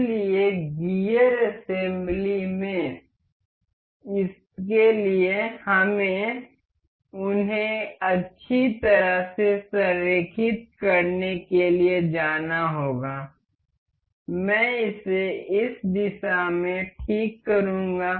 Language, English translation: Hindi, So, for this as in gear assembly we have go to align them well I will fix this in this direction see this